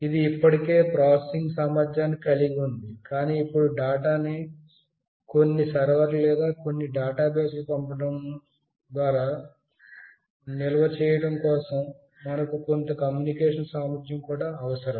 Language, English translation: Telugu, It has got the processing capability already, but now for sending the data or storing the data in some server or in some database, we need some communication capability as well